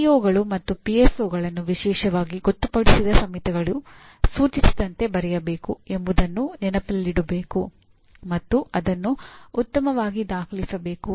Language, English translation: Kannada, It should be remembered that PEOs and PSOs are to be written by the specially designated committees as indicated following a well documented process